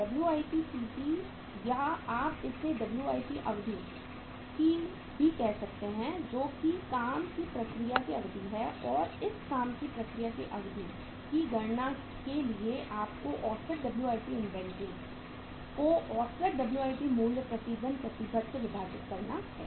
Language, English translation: Hindi, WIPCP or you can call it as it is the Dwip duration of the work in process and for calculating this duration of work in process what you have to do is average WIP inventory average WIP inventory divided by average divided by average WIP value average WIP value committed per day